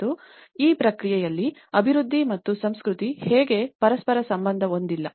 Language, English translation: Kannada, And this is where how development and culture are not related to each other in the process